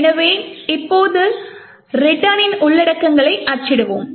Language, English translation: Tamil, So, let us now print the contents of the return